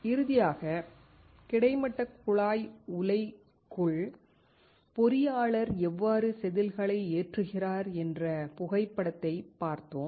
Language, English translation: Tamil, Finally, we saw the photograph of how the engineer is loading the wafer inside the horizontal tube furnace